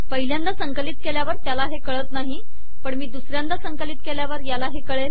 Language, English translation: Marathi, Okay, it doesnt know it yet in the first compilation, but if I compile it a second time it will know